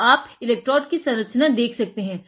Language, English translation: Hindi, So, you can see the electrode structure